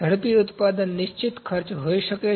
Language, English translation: Gujarati, Rapid manufacturing may be the fixed cost